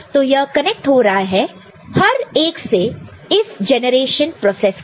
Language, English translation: Hindi, So, that is getting connected here for each one of the generation process right